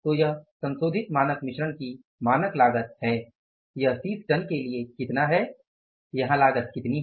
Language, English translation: Hindi, So it is the standard cost of revised standard mix is going to be how much